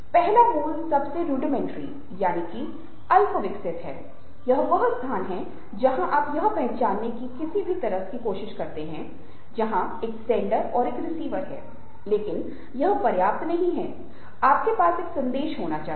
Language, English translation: Hindi, the first, the basic most, is where you recognize that in any kind of a communication, that is a sender and a receiver, but that is not good enough